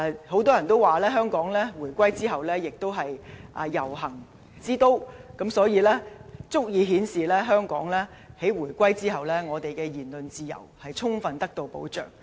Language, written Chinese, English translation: Cantonese, 很多人都說，香港回歸後亦都是"遊行之都"，足以顯示香港在回歸後，我們的言論自由充分得到保障。, Many people describe Hong Kong as a city of processions after the reunification which rightly proves that after the reunification our freedom of speech is fully protected